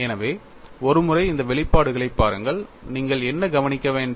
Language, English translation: Tamil, So, once you look at these expressions what do you notice